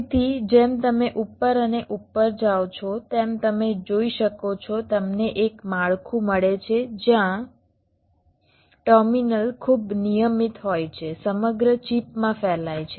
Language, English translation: Gujarati, so, as you can see, as you go up and up, you get a structure where the terminals are very regularly spread all across the chip